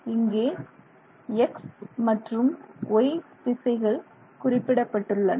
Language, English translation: Tamil, And we have the X and Y directions indicated here, X and Y directions